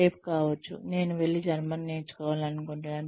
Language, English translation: Telugu, May be tomorrow, I want to go and learn German